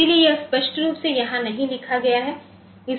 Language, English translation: Hindi, So, that is not written here explicitly